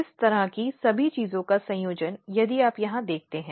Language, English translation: Hindi, So, the combination of all this kind of things if you look here